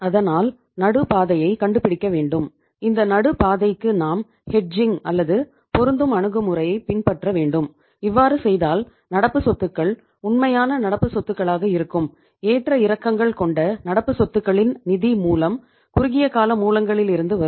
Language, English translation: Tamil, So we have to find out the middle path and for the middle path I told you that we can follow the hedging or matching approach and uh that way if you do that, then the current assets will be pure current assets, that is a fluctuating current assets will be financed from the short term sources of funds and the uh permanent current assets as well as the fixed assets they will be financed from the long term sources of the funds